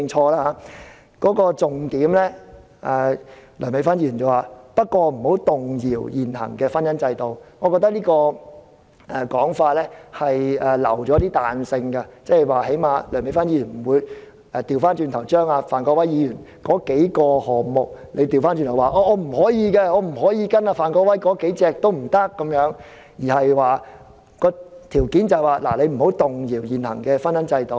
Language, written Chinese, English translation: Cantonese, 而梁美芬議員修正案的重點是"不能動搖現行的婚姻制度"，我覺得這種說法已留有彈性，即梁美芬議員不會反對范國威議員提出的數項建議，因為她的條件只是不能動搖現行的婚姻制度。, The key of Dr Priscilla LEUNGs amendment is that it should refrain from shaking the existing marriage institution . I consider that she has left room for flexibility . That is Dr Priscilla LEUNG will not object to Mr Gary FANs proposals because her prerequisite is that we should refrain from shaking the existing marriage institution